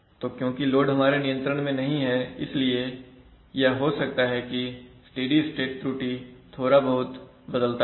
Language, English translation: Hindi, So since the load, since the load is not exactly in our control so therefore it may happen that the steady state error keeps changing little bit